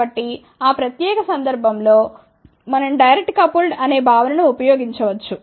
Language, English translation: Telugu, So, in that particular case we can use the concept of direct couple